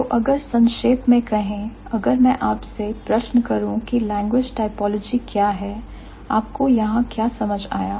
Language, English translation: Hindi, So, to sum it up, if I ask you the question, what is language typology